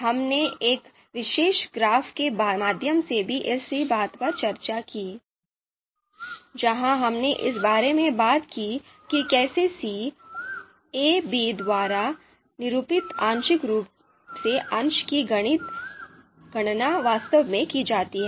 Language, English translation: Hindi, And we we also discussed the same thing through this particular graph where we talked about how you know partial concordance degree denoted by ci of in parenthesis a,b is actually computed